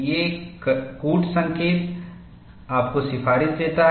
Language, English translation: Hindi, A code gives you the recommendation